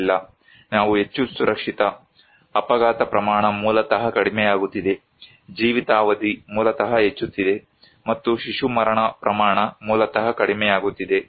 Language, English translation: Kannada, No, we are much safer, accident rate basically decreasing, life expectancy basically increasing and infant mortality rate basically decreasing